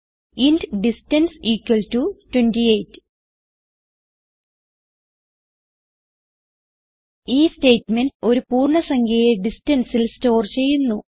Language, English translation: Malayalam, int distance equal to 28 This statement stores the integer value in the name distance